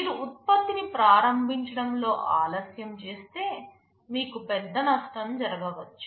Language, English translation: Telugu, If you delay in the launch of a product, you may incur a big loss